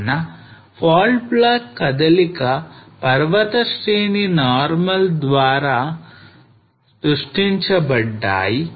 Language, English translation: Telugu, So fault block movement mountain range produced by normal